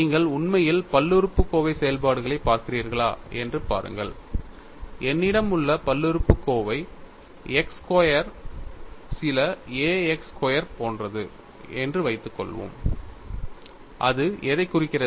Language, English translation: Tamil, See if you really look at polynomial functions, suppose I have the polynomial is like x square some a x square and what is that it represents